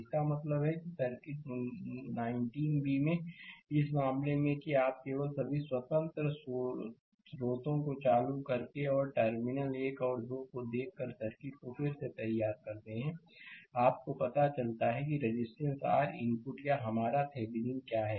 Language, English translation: Hindi, So, that means, in this case in the circuit 19 b that you just redraw the circuit by turning up all the independent sources and from looking from terminal 1 and 2, you find out what is the resistance R input or R Thevenin right